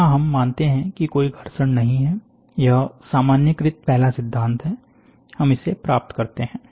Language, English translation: Hindi, So, here we assume there is no friction, it’s first principle generalized one, we get it